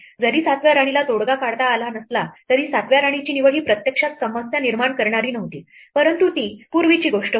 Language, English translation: Marathi, Though the 7th queen could not lead to a solution, it was not the choice of the 7th queen, which actually made a problem, but it was something earlier